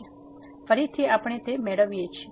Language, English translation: Gujarati, So, again we get